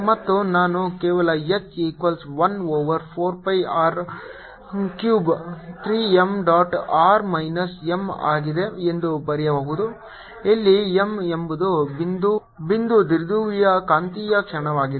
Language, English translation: Kannada, i can make an analogy and i can just write that h is equal to one over four pi r cube three m dot r minus, sorry, r minus m, where m is the magnetic moment of the point dipole